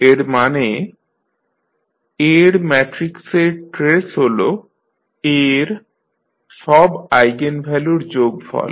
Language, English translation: Bengali, That means the trace of A matrix is the sum of all the eigenvalues of A